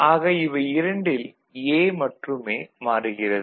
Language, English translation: Tamil, So, only A is not changing